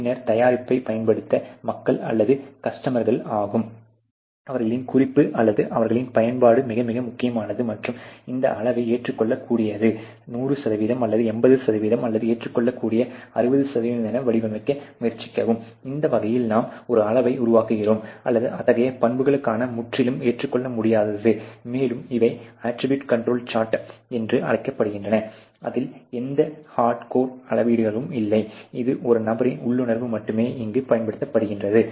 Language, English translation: Tamil, So, you actually develop a rating scale on to the experiences of different people; obviously, the people are the customers over to use the product later on, and so their reference or their use very, very important and try to formulate that scale as acceptable 100% or 80%or acceptable 60%and that way you create a scale or even completely unacceptable for such attributes, and these are known as the attribute control charts which don’t have any hard core measurements its only the intuition of a person that is being utilized here